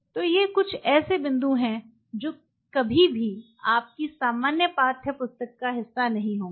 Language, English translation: Hindi, So, these are some of the points which will never be part of your standard textbook